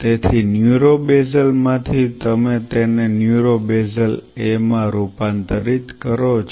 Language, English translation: Gujarati, So, this is how from neuro basal you convert it into neuro basal A